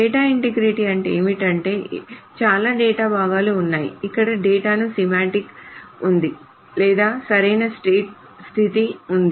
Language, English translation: Telugu, So what does data integrity mean essentially is that there are many pieces of data where there is a semantics to the data or there is a correctness condition